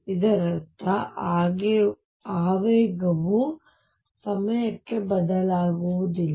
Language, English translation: Kannada, It means that momentum does not change with time